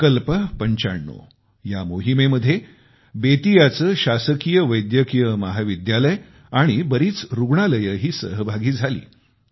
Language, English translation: Marathi, Under the aegis of 'Sankalp Ninety Five', Government Medical College of Bettiah and many hospitals also joined in this campaign